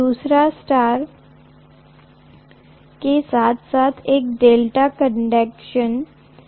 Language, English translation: Hindi, The second one is for star as well as delta connections